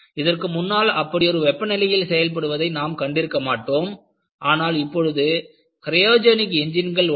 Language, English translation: Tamil, You never even dream of that kind of operating conditions earlier and you have cryogenic engines